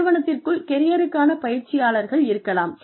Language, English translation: Tamil, There could be career coaches, within the organization